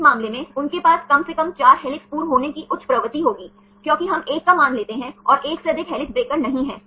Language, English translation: Hindi, In this case they will have high tendency to have at least 4 helix formers, because we take the value of 1 and not more than 1 helix breaker right